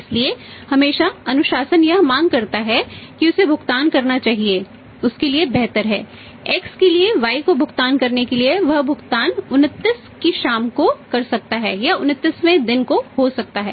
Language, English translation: Hindi, So, always quotes he demands discipline demands that he should make the payment is better for him for the X make the payment to by that he can make the payment on the evening of 29th or may be 29 day